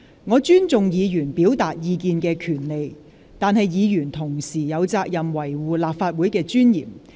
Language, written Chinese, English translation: Cantonese, 我尊重議員表達意見的權利，但議員同時有責任維護立法會的尊嚴。, While Members right to expression is respected it is the duty of Members to maintain the dignity of the Legislative Council